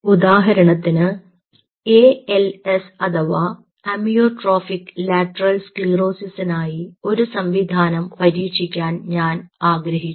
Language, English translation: Malayalam, say, for example, i wanted to test a system for als amyotrophic lateral sclerosis